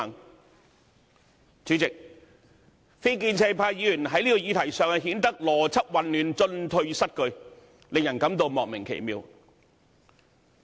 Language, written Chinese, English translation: Cantonese, 代理主席，非建制派議員在這個議題上顯得邏輯混亂，進退失據，令人感到莫名其妙。, Deputy President it seems that when handling the issue Members from the non - establishment camp are confused with logic and it is baffling that they are simply contradicting themselves